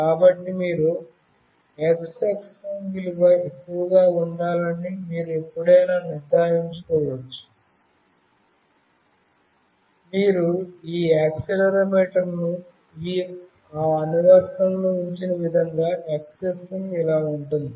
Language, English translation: Telugu, So, you can always make sure that the x axis value should be high such that you have put up this accelerometer in that application in such a way that x axis is like this